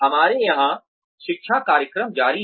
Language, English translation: Hindi, We have continuing education programs